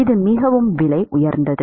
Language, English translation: Tamil, It is very expensive